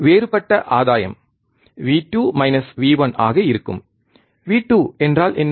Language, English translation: Tamil, Differential gain will be V 2 minus V 1, what is V 2